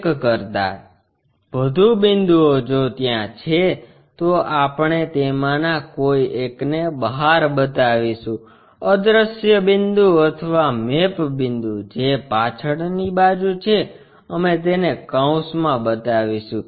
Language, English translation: Gujarati, There are multiple if multiple points are there one of the point we will show outside, invisible point or map point which is at back side we will show it within the parenthesis